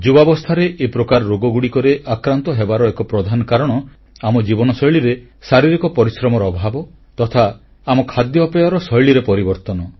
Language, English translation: Odia, ' One of the main reasons for being afflicted with such diseases at a young age is the lack of physical activity in our lifestyle and the changes in our eating habits